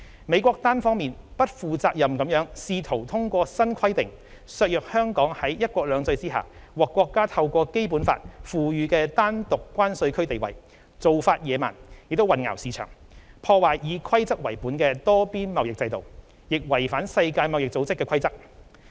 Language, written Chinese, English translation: Cantonese, 美國單方面、不負責任地試圖通過新規定削弱香港在"一國兩制"下獲國家透過《基本法》賦予的單獨關稅區地位，做法野蠻，亦混淆市場，破壞以規則為本的多邊貿易制度，亦違反世界貿易組織規則。, The US unilateral and irresponsible attempt to weaken through the new requirement Hong Kongs status as a separate customs territory which is conferred by our Motherland through the Basic Law under one country two systems is barbaric . Such a move also confuses the market undermines the rules - based multilateral trading system and violates the rules of the World Trade Organization WTO